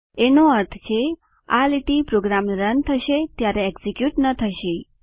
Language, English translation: Gujarati, This means, this line will not be executed while running the program